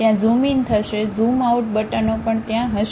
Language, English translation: Gujarati, There will be zoom in, zoom out buttons also will be there